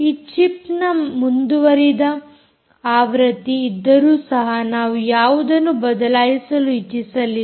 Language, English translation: Kannada, they have improved versions of this chip, although we didnt want to change anything